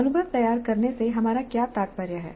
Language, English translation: Hindi, What we mean by framing the experience